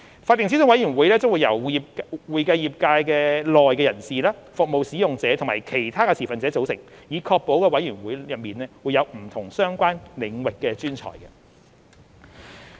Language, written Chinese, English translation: Cantonese, 法定諮詢委員會將由會計業界內人士、服務使用者和其他持份者組成，以確保委員會內有不同相關領域的專才。, The statutory advisory committee will consist of practitioners service users and other stakeholders of the accounting profession to ensure diversity of expertise